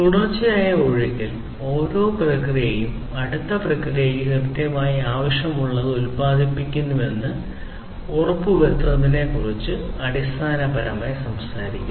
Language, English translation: Malayalam, And just in time basically talks about ensuring that each process produces whatever is exactly needed by the next process, in a continuous flow